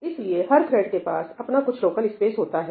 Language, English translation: Hindi, So, every thread will have some local space